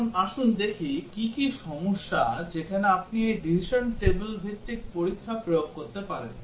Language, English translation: Bengali, Now, let us see what are the problems where you can apply this decision table based testing